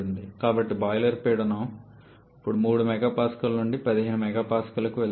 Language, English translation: Telugu, So, boiler pressure now goes from 3 mega Pascal to 15 mega Pascal